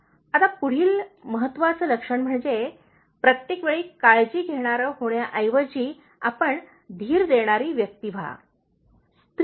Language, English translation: Marathi, Now the next important trait is, instead of being a worrier all the time, you become a person who is reassuring